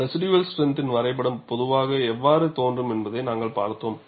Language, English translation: Tamil, See, we have seen how a residual strength diagram would in general appear